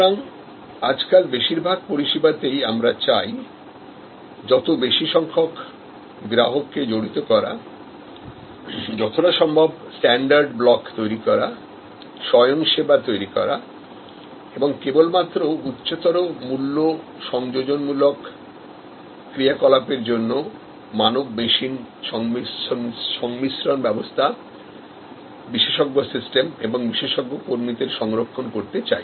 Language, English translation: Bengali, So, in most services, these days we would like to involve the customer more and more, create standard blocks, create self service and reserve the human machine composite system, expert system and expert personnel only for higher value adding activities